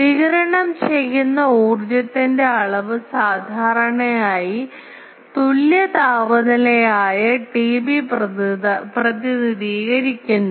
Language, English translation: Malayalam, The amount of energy radiated is usually represented by an equivalent temperature T B